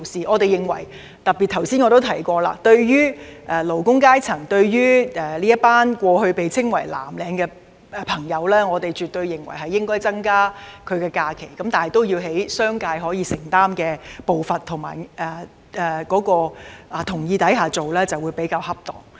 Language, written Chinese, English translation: Cantonese, 我們認為，特別是我剛才亦有提及，對於過去被稱為藍領的勞工階層，絕對應該增加他們的假期，但按商界可以承擔的步伐及在其同意下進行會較為恰當。, We take the view that as I have also highlighted just now it is imperative to increase the number of holidays for the working class commonly known as blue - collar workers in the past but it is more appropriate to provide them at a pace affordable to the business sector and with its consent